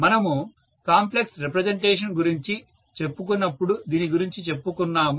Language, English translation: Telugu, We talked about this when we were talking about complex representation